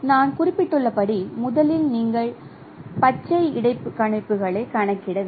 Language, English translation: Tamil, So as I mentioned that first you have to compute the, it's a green interpolations